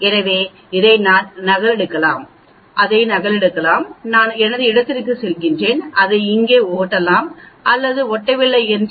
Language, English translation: Tamil, So I can copy this, copy this and I go to my I paste it here or if it does not get pasted